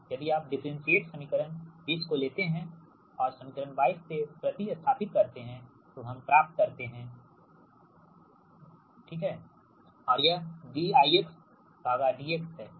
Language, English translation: Hindi, if you take the differentiate equation twenty right and substituting from equation twenty two, we get d square, v x upon d x square is equal to z, small z into d i x upon d x, and this d i x upon d x, right